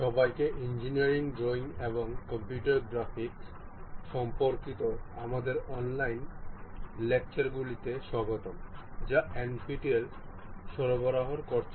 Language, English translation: Bengali, ) Hello everyone, welcome to our online lectures on Engineering Drawing and Computer Graphics provided by NPTEL